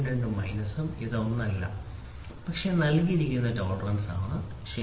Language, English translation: Malayalam, 02 this is nothing, but the tolerance which is given, ok